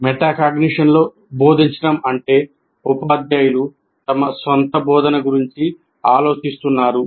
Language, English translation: Telugu, Teaching with metacognition means teachers think about their own thinking regarding their teaching